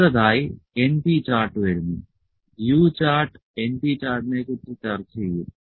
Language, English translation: Malayalam, So, next comes np chart, the U chart will discuss the np chart